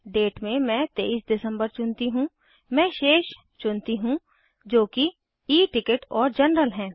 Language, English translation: Hindi, Date let me choose 23rd December , Let me choose the remaining as they are E ticket and general